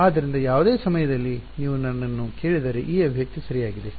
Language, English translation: Kannada, So, at any point if you ask me this expression is obeyed ok